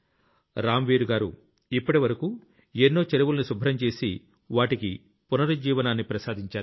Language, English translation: Telugu, So far, Ramveer ji has revived many ponds by cleaning them